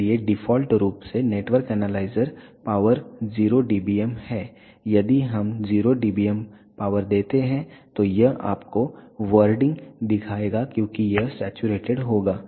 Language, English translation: Hindi, So, by default the network analyzer power is 0 dBm if we give 0 dBm power then it will show you wording because it will saturate